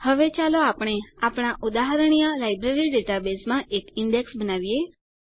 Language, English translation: Gujarati, Now let us create an index in our example Library database